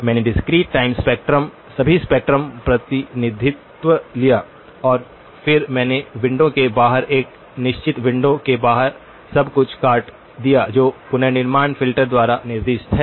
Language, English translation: Hindi, I took the discrete time spectrum (()) (29:59) all spectrum representation, and then I chopped off everything with outside a certain window, outside of the window that is specified by the reconstruction filter